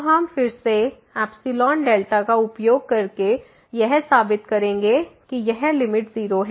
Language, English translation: Hindi, So, this will become 0, but what we will prove now that this limit is 0